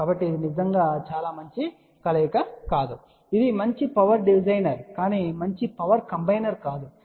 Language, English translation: Telugu, So that means, this is not really a very good combiner it is a good power divider but not a good power combiner